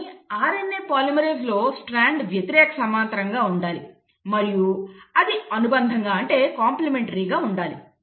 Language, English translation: Telugu, But the RNA polymerase, the strand has to be antiparallel, and it has to be complementary